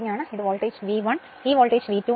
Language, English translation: Malayalam, This voltage V 1, this voltage is V 2